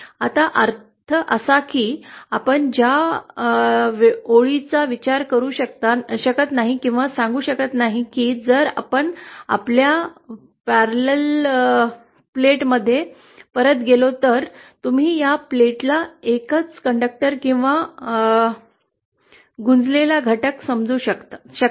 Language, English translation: Marathi, What that means is, you cannot consider that line or say if we go back to our rectangle plate, you can no longer consider this plate as a single conductor or a lumped element